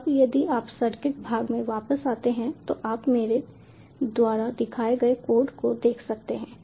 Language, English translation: Hindi, now, if you come back to the circuit part, as you can see the code i showed you